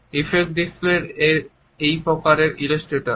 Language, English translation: Bengali, Affect displays are also a type of an illustrator